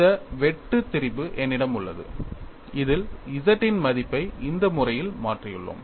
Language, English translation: Tamil, I have this shear strain in which we have replaced the value of G in this manner